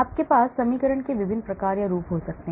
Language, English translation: Hindi, So you can have different types or forms of the equation